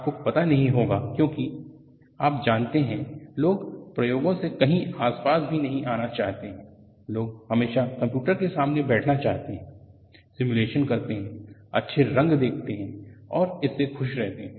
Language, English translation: Hindi, You may not be aware because people do not want to come near anywhere near experiments; people always want to sit before the computers, do simulation, see nice colors, and be happy with it